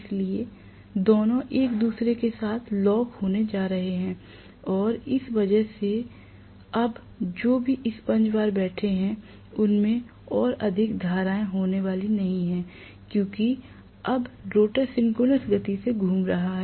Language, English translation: Hindi, So, both of them are going to lock up with each other and because of which now the damper bars whatever they are sitting, they are not going to have any more currents, because now the rotor is rotating at synchronous speed